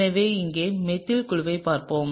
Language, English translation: Tamil, So, let’s look here, so the methyl group is, okay